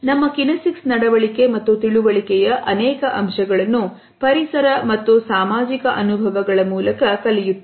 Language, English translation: Kannada, Many aspects of our kinesic behavior and understanding are learned through environmental and social experiences